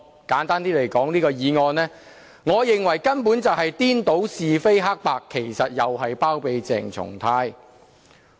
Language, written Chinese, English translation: Cantonese, 簡單來說，我認為這項議案根本顛倒是非黑白，其實又在包庇鄭松泰議員。, In gist I consider that this motion has simply confounded right and wrong actually also serving to harbour Dr CHENG Chung - tai